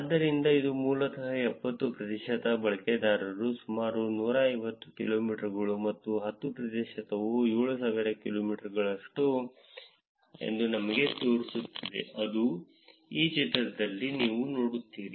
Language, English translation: Kannada, So, this is basically showing you that 70 percent of the users are about 150 kilometers and the 10 percent is about the 7000 kilometers that is what you will see in this figure